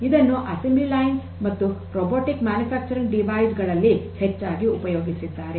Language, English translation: Kannada, It is used in assembly lines and robotic manufacturing devices a lot